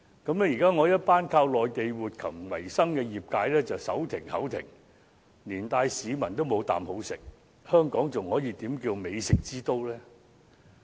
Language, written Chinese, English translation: Cantonese, 於是，現在一群依靠內地活禽為生的業界人士便"手停口停"，連帶市民也"無啖好食"，香港又怎能稱為美食之都呢？, Consequently now a group of traders who rely on Mainland live poultry as their means of livelihood can barely make a living while members of the public are left with no good choices of food . How can Hong Kong be called a culinary capital then?